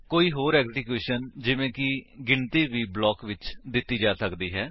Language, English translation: Punjabi, Any other execution like calculation could also be given in the block